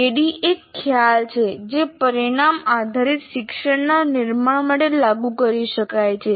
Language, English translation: Gujarati, And ADI, this ADD concept can be applied for constructing outcome based learning